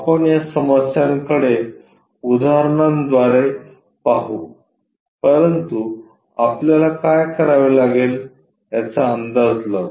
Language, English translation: Marathi, We will look at this problem through examples, but by guessing it what we have to do